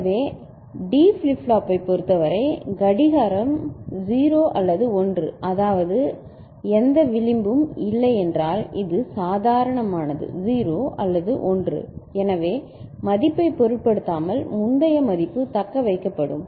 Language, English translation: Tamil, So, for D flip flop, whenever the clock is you know, 0 or 1, I mean, no edge has come this is normal say 0 or 1 ok so, irrespective of the value, previous value will be retained